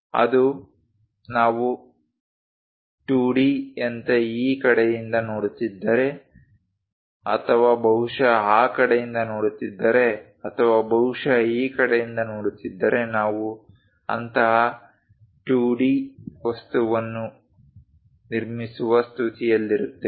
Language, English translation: Kannada, That one, if we are looking at as a view as a 2D one either looking from this side or perhaps looking from that side or perhaps looking from this side, we will be in a position to construct such kind of 2D object